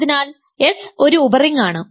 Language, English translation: Malayalam, So, S is a subring ok